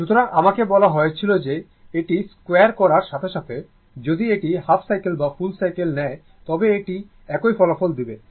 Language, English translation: Bengali, So, I told you that as soon as squaring it, if you take half cycle or full cycle, it will give you the same result right